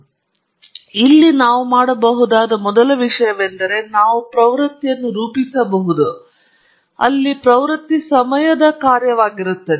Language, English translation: Kannada, So, here the first thing that we would do is we would model the trend, where the trend is a function of time